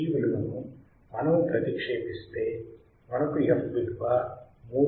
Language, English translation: Telugu, So, we substitute the value, and we get value of f equals to 318